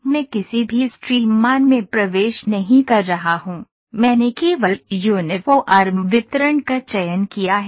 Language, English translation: Hindi, So, I am not picking any putting any stream value so I have just put uniform distribution